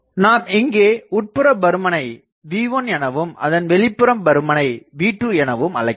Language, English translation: Tamil, Now, this one I am calling V1 outside, I am calling V2